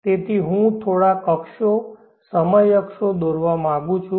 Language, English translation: Gujarati, So therefore, I would like to draw few access, time axis